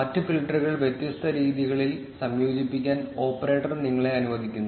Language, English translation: Malayalam, The operator allows you to combine other filters in different ways